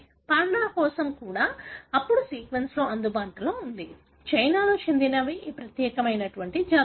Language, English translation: Telugu, There are now sequence available even for panda the, the species that is so unique to China